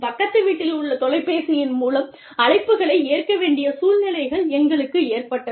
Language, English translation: Tamil, We have had situations, where we have had to take phone calls, at a neighbor's house